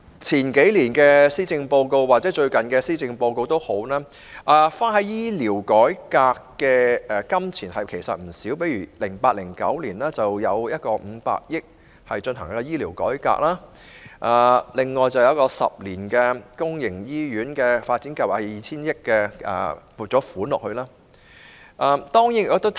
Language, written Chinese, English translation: Cantonese, 從數年前或最近的施政報告的建議可見，政府花在醫療改革的費用其實不少，例如在 2008-2009 年度有一項500億元的撥款用於醫療改革，以及用於10年公營醫院發展計劃的撥款達 2,000 億元。, As reflected from the policy addresses in the past few years and the most recent one the Government has spent a lot of money on health care reform . For example in 2008 - 2009 50 billion was allocated to an item for health care reform; and the funding allocated for the 10 - year Hospital Development Plan was 200 billion